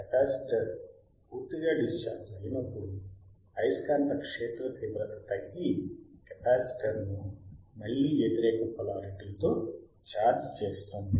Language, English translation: Telugu, When the capacitor is fully discharged, the magnetic fields are collapse,ing charging the capacitor is again in the opposite polarityy or opposite direction